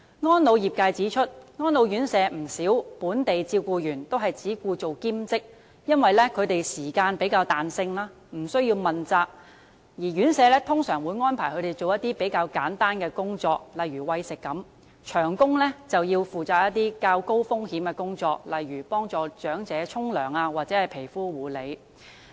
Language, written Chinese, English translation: Cantonese, 安老業界指出，不少安老院舍的本地照顧員均只願做兼職，因為時間有較大彈性，無須問責，而院舍通常會安排他們做比較簡單的工作，例如餵食；長工則要負責較高風險的工作，例如協助長者洗澡及皮膚護理。, As pointed out by the elderly care industry many local carers in RCHEs are willing to work only part - time because there is greater flexibility in the working hours with no accountability . Usually RCHEs will arrange for them to do simpler jobs such as feeding whereas permanent staff are responsible for jobs entailing higher risks such as helping the elderly take baths and skincare